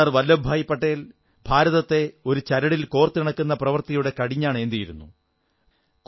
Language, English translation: Malayalam, Sardar Vallabhbhai Patel took on the reins of weaving a unified India